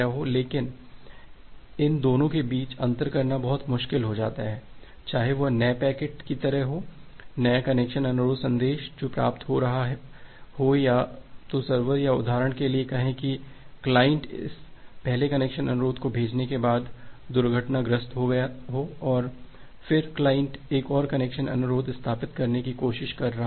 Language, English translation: Hindi, So distinguishing between these two becomes very difficult that, whether it is just like new packet, new connection request message that is being received or it has happened that well either the server or say for this example the client has crashed after sending this first connection request packet and then the client is trying to establish another connection request